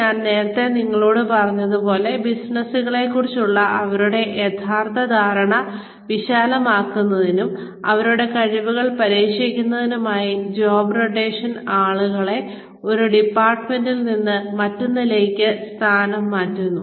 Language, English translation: Malayalam, Like, I told you earlier, job rotation is moving people from, department to department, to broaden their understanding of the business, and to test their abilities